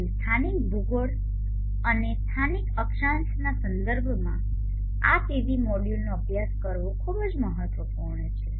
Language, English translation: Gujarati, So it is very important to study this PV module in connection with the local geography and the local latitude